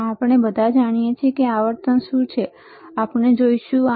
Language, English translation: Gujarati, And we all know what is the frequency, we will see